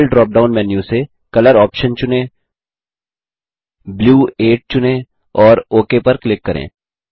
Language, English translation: Hindi, From the Fill drop down menu, select the option Color